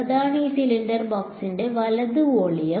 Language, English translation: Malayalam, That is the volume of this cylindrical box right